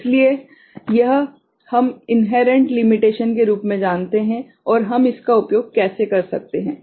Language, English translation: Hindi, So, that we know as inherent limitation and how we can make use of it